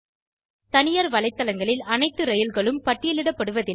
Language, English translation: Tamil, Not all trains are listed in private website